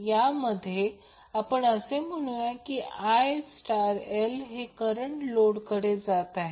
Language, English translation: Marathi, In this let us assume that IL dash is the current which is going to the load